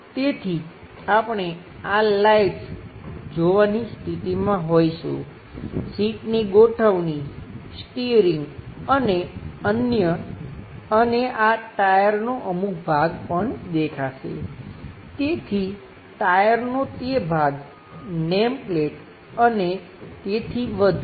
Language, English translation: Gujarati, So, we will be in a position to see these lights, perhaps the seat arrangement, steering, and other things, and some part of these tyres also will be visible, so that part of the tyres, the name plate, and so on so forth